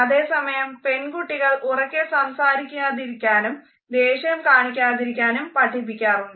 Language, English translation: Malayalam, Similarly girls are encouraged not to talk loudly or to show aggression